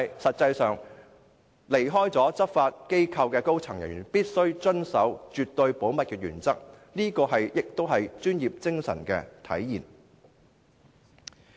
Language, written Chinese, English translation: Cantonese, 實際上，離開執法機構的高層人員必須遵守絕對保密的原則，這是專業精神的體現。, Actually any senior officer in a law enforcement body must observe the principle of absolute confidentiality after departure . This is a manifestation of professionalism